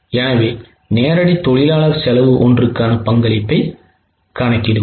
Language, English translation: Tamil, So, let us calculate the contribution per direct labor cost